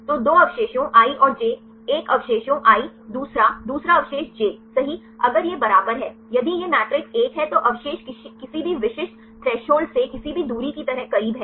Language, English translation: Hindi, So, the 2 residues i and j one the residue i second another residue j right if it is equal to if this matrix is one if the residues are closer than any specific threshold like any distance